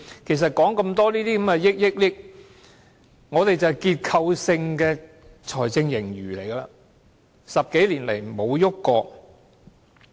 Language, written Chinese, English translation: Cantonese, 其實說了那麼多億元，我們便是有結構性財政盈餘 ，10 多年來並沒有改變過。, Actually having talked about so many numbers to the tune of billions I wish to point out that we have a structural fiscal surplus which has persisted for more than 10 years